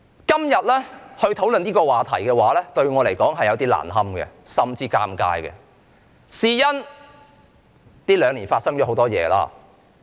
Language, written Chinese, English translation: Cantonese, 今天討論這個話題對我而言實在有點難堪，甚至是尷尬，因為這兩年以來發生了很多事情。, It is a bit discomfiting even embarrassing for me to discuss this topic today because a lot has happened in the last two years